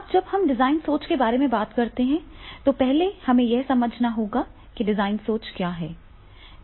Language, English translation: Hindi, Now when we talk about the design thinking, so first we have to understand what is the design thinking